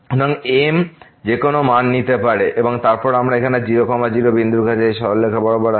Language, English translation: Bengali, So, m can take any value and then, we are approaching to the point here the along these straight lines